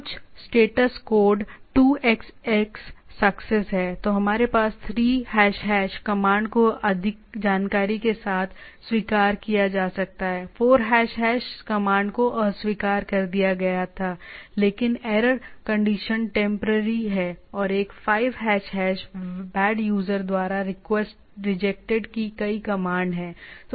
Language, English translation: Hindi, There are some status code 2## is the success, then we have 3## command can be accepted in more with more information, 4## is the command was rejected, but error condition is temporary right and 5## is the command rejected bad user